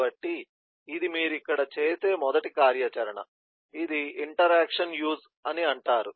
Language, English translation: Telugu, so that is kind of the first activity that you do here, which is known as the interaction use, and then